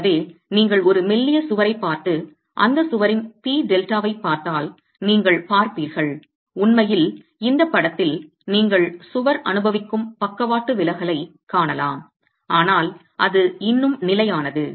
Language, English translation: Tamil, So, if you were to look at a slender wall and look at the p delta for that wall, you will see and in fact in this figure you can visually see the lateral deflection that the wall is undergoing but is still stable